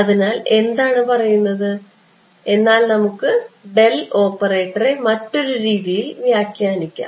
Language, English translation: Malayalam, So, what it says is let us reinterpret the del operator itself ok